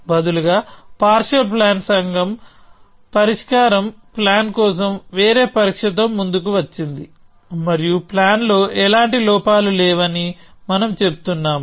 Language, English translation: Telugu, Instead the partial planning community has come up with a different test for a solution plan and we say that as well plan has no flaws